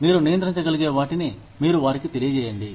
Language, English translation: Telugu, You let them know, what you can control